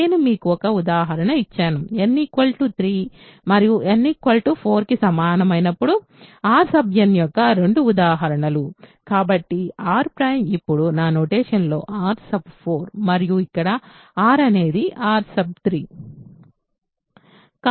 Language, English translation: Telugu, I have given you one example, two examples of R n when n equal to 3 and 4; so R prime is R 4 right in my notation now and here R is R 3